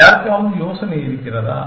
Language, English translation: Tamil, Does anyone have an idea